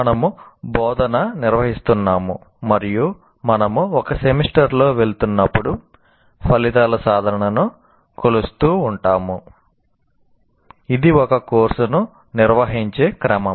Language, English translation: Telugu, So we are conducting instruction and as we go along in a semester, we keep measuring the attainment of outcomes